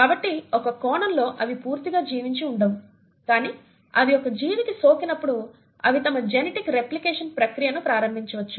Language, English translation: Telugu, So in a sense they are not completely living but when they infect a living organism, they then can initiate the process of their genetic replication